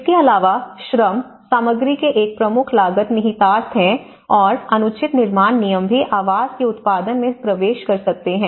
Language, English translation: Hindi, Also, the materials and labour because materials have a major cost implications and also inappropriate building regulations can inhabit the production of housing